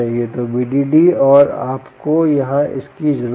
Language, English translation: Hindi, so v d d and you need around here